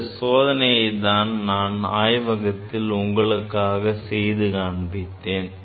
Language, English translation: Tamil, So, that is the experiment we have demonstrated in the laboratory